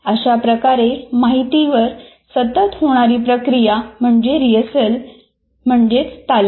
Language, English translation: Marathi, So this continuous reprocessing of information is called rehearsal